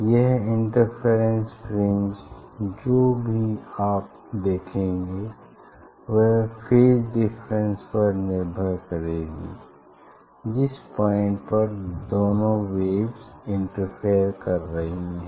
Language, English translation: Hindi, this interference fringe whatever you are seeing that depends on the phase difference between the two waves at the point where they are interfering